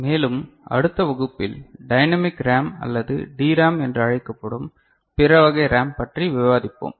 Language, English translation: Tamil, And we shall discuss the other type of RAM also called Dynamic RAM or DRAM in subsequent class